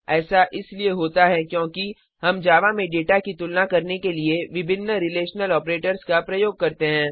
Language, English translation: Hindi, This is how we use the various relational operators to compare data in Java